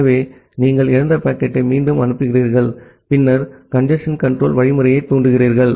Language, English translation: Tamil, So, you retransmit the lost packet, and then trigger the congestion control algorithm